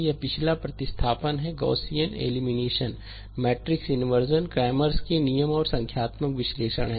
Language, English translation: Hindi, That is your back substitution ah, Gaussian elimination, matrix inversion, cramers rule and numerical analysis